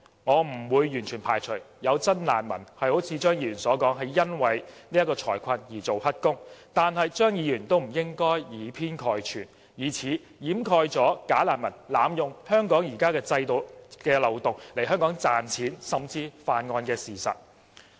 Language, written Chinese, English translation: Cantonese, 我不會完全排除有真難民如張議員所說般，因為財困才做"黑工"，但張議員亦不應以偏概全，以此掩蓋"假難民"濫用香港現行制度的漏洞來港賺錢甚至犯案的事實。, I do not rule out the possibility that some genuine refugees are forced to engage in illegal employment due to financial difficulties as Dr Fernando CHEUNG has claimed . But Dr CHEUNG should not take a part for the whole and use this to conceal the fact that bogus refugees are abusing the loophole in the present mechanism to come here to make money or even commit crimes